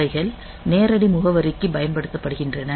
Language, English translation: Tamil, So, they are used for direct addressing and